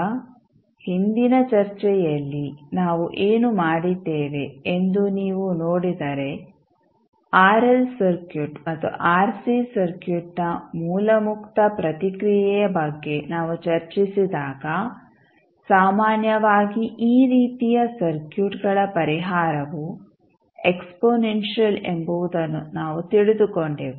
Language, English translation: Kannada, Now, if you see that the previous discussion what we did when we discussed about the source free response of rl circuit and rc circuit we came to know that typically the solution of these kind of circuits is exponential